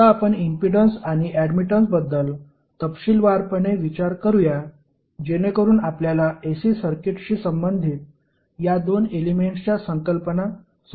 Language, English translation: Marathi, Now let us look at impedance and admittance in detail so that you can understand the concepts of these two entities with relations to the AC circuit